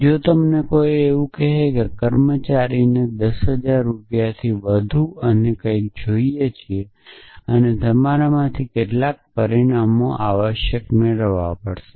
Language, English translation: Gujarati, So, if you are saying somebody like something like is there in employee he wants more than 10000 rupees and something and you get some results out of that essentially